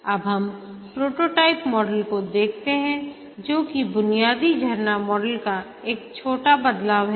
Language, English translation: Hindi, Now let's look at the prototyping model which is also a small variation of the basic waterfall model